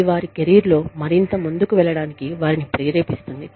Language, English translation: Telugu, That will, keep them motivated, to move further, in their careers